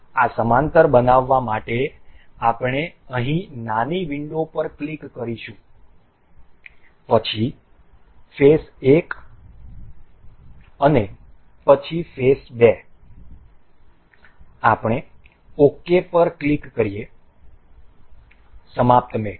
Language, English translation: Gujarati, To make this parallel we will click on the small window here, then the phase 1 and then the phase 2, we click on ok, finish mate